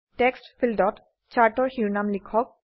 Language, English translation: Assamese, In the Text field, type the title of the Chart